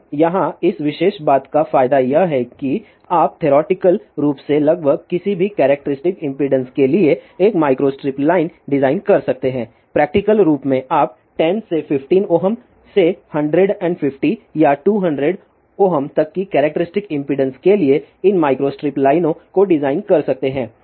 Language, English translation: Hindi, Now here the advantage of this particular thing is that you can design a micro strip line for almost any characteristic impedance theoretically practically, you can design these micro strip lines for characteristic impedance from 10 to fifteen ohm up to 150 or 200 ohm